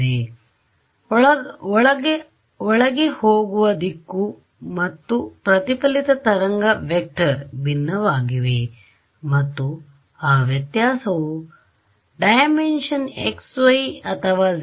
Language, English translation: Kannada, So, the directions of the incident and the reflected wave vector are different and that difference is primarily coming because of which dimension x, y or z